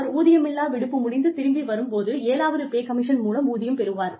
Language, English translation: Tamil, When the employee comes back from unpaid leave, it is seventh pay commission